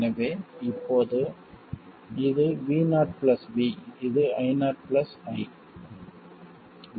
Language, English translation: Tamil, So, now this is V0 plus lowercase V, this is I0 plus lowercase I